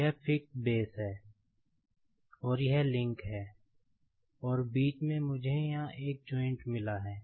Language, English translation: Hindi, So, this is the fixed base, and this is the link, and in between I have got a joint here